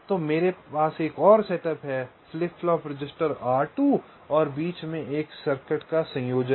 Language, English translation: Hindi, so i have another setup, flip flop, register r two, and there is a combination of circuit in between